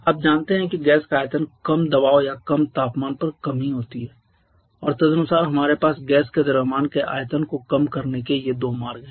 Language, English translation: Hindi, You know that the gas has lower volume only at higher pressure or at low temperature and accordingly we have these 2 routes of reducing the volume of a certain mass of gas